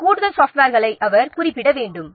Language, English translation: Tamil, He should specify these additional softwares